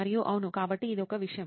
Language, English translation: Telugu, And yeah, so that is one thing